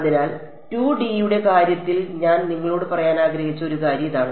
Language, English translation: Malayalam, So, that is one thing I wanted to tell you in the case of 2 D